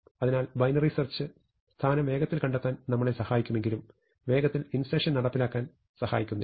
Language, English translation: Malayalam, So, binary search, although it can help as find the position faster, does not really help us to implement insert any faster